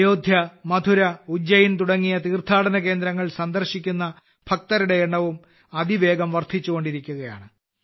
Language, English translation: Malayalam, The number of devotees visiting pilgrimages like Ayodhya, Mathura, Ujjain is also increasing rapidly